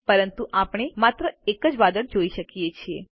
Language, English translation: Gujarati, But we can see only one cloud